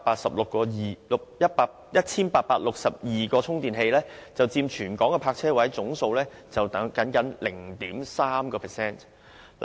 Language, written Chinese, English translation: Cantonese, 此外，全港有 1,862 個充電器，僅佔全港泊車位總數 0.3%。, Besides there were 1 862 charging stations in Hong Kong and this figure merely accounted for 0.3 % of the total number of parking spaces in Hong Kong